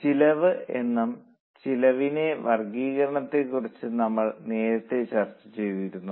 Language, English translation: Malayalam, We also discussed what is cost and then we went into classification of costs